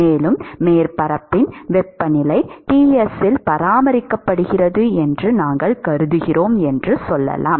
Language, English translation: Tamil, And, let us say that we assumed that the temperature of the surface is maintained at Ts